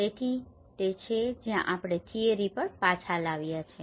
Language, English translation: Gujarati, So that is where we bring back the theory also